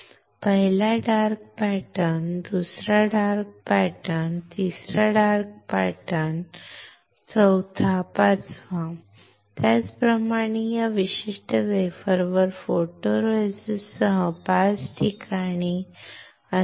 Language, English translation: Marathi, First dark pattern, second dark pattern, third dark pattern, fourth dark pattern, fifth dark pattern, same way the photoresist on this particular wafer will be at 5 places